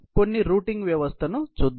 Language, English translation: Telugu, Let us look at some of the routing system